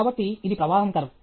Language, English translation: Telugu, So, this is a flow curve